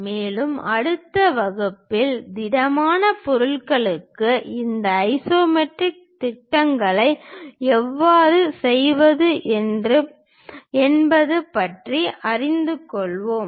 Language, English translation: Tamil, And, in the next class, we will learn about how to do these isometric projections for solid objects